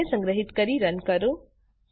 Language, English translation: Gujarati, Save and Runthe file